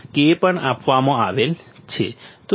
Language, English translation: Gujarati, K is also given 0